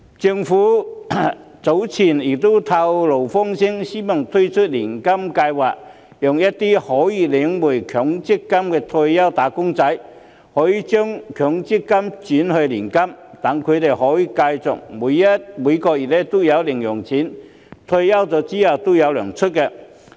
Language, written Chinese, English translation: Cantonese, 政府早前曾透露風聲，希望推出年金計劃，讓一些可以領回強積金的退休"打工仔"，將強積金轉為年金，讓他們可以繼續每個月有零用錢，退休後仍然"有糧出"。, Earlier on the Government has disclosed its intention to introduce an annuity scheme which allows some retired wage earners who are eligible to withdraw their MPF to convert their MPF into an annuity . This will enable them to continue to receive pocket money every month and keep on having income after retirement